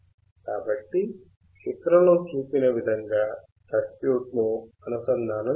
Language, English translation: Telugu, So, connect the circuit as shown in figure